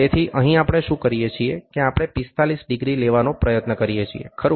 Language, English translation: Gujarati, So, here what we do is we try to take 45 degrees, right